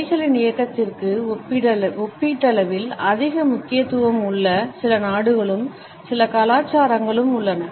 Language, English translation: Tamil, There are certain countries and certain cultures in which there is relatively more emphasis on the movement of hands